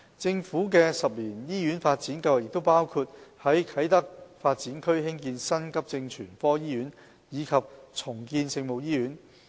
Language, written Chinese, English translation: Cantonese, 政府的10年醫院發展計劃亦包括於啟德發展區興建新急症全科醫院及重建聖母醫院。, The Governments 10 - year Hospital Development Plan also covers the construction of a new acute hospital in the Kai Tak Development Area and the redevelopment of the Our Lady of Maryknoll Hospital in the Kai Tak Development Area